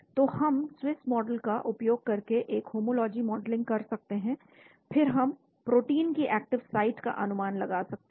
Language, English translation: Hindi, So we can do a homology modeling using the Swiss model then we can predict the active site of the protein